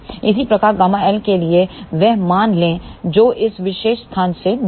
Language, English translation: Hindi, Similarly, for gamma L take the values as far from this particular place over here